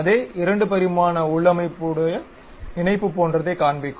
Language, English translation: Tamil, The same 2 dimensional configuration something like a link it shows